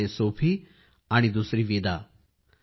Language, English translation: Marathi, One is Sophie and the other Vida